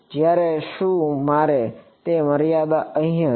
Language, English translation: Gujarati, Whereas, did I have that limitation here